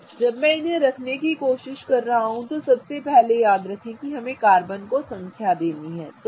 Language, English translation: Hindi, Now when I want to place them, remember first thing is always number your carbons so it becomes easier, okay